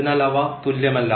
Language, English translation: Malayalam, So, they are not equal